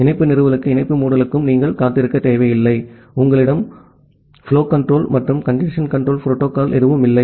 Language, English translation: Tamil, You do not need to wait for the connection establishment and the connection closure, and you do not have any flow control and the congestion control algorithm